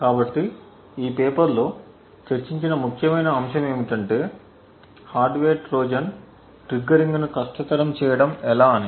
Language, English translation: Telugu, So, the critical aspect what this paper talks about is how would we make triggering the hardware Trojan difficult